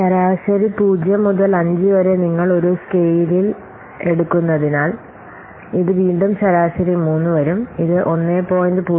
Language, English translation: Malayalam, So, again, for average, since you have taking a scale from 0 to 5, again, this is average will be coming 3